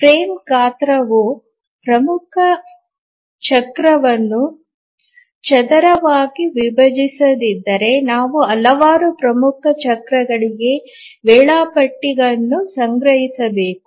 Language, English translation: Kannada, If the frame size does not squarely divide the major cycle, then we have to store the schedule for several major cycles